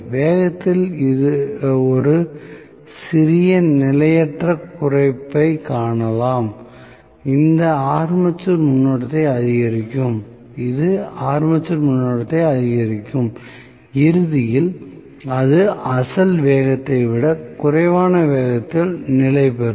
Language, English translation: Tamil, So, you may see a small transient reduction in the speed that will essentially make the armature current increase and ultimately it will settle down at a speed which is less than the original speed